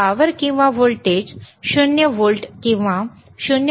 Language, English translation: Marathi, here tThe power is or voltage is 0 volts or 0